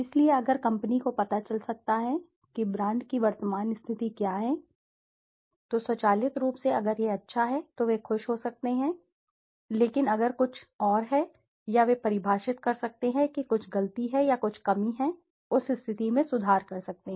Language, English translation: Hindi, So if the company can know, what is the current position of the brand then automatically if it is good they can be rest happy, but if there is something something else, or they can define there is some mistake or there is some deficient, in that case those can improved